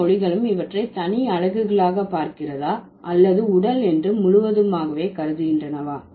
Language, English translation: Tamil, So whether all languages see these as separate units or they consider it just a whole body